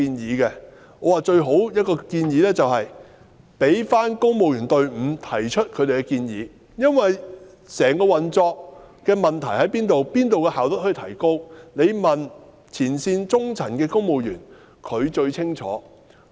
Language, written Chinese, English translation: Cantonese, 我表示最好交由公務員隊伍提出他們的建議，因為對於整個運作中問題所在之處、可從哪方面提高工作效率，只須問前線的中層公務員，他們最清楚。, I said that it would be desirable to let the civil service put forward its recommendations because the mid - level front - line civil servants are the most reliable and informed sources to answer questions about where to identify problems and improve efficiency in the overall operation